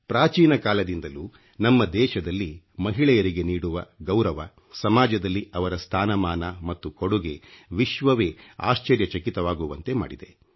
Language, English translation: Kannada, In our country, respect for women, their status in society and their contribution has proved to be awe inspiring to the entire world, since ancient times